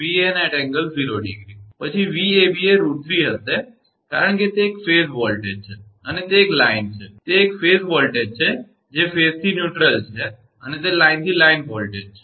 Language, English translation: Gujarati, Then Vab will be root 3, because it is a phase voltage it is a line, it is a phase voltage that is phase to neutral and it is line to line voltage